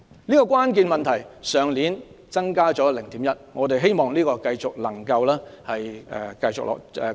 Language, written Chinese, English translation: Cantonese, 這個比率去年增加了 0.1， 我們希望這個比率繼續能有改善。, The class - teacher ratio rose by 0.1 % last year . We hope that there will be continual improvement in this ratio